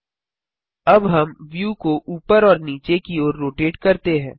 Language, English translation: Hindi, Now we rotate the view up and down